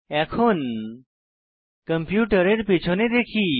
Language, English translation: Bengali, Now lets look at the back of the computer